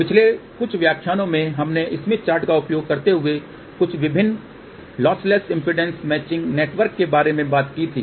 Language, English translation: Hindi, In the last few lectures we talked about various lossless impedance matching network using smith chart